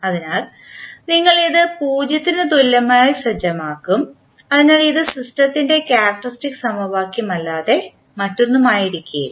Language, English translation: Malayalam, So, you will set this equal to 0, so this will be nothing but the characteristic equation of the system